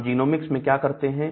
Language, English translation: Hindi, So, what do we do in genomic